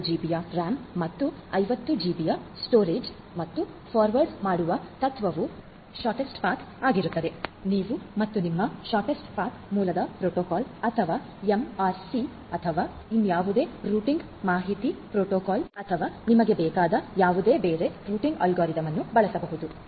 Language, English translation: Kannada, 5 GB and 50 GB storage and the forwarding principle will be using the shortest delay path, you could use any other routing algorithm you as well like your open shortest path, first protocol or MRC or you know any other routing information protocol reap or whatever you want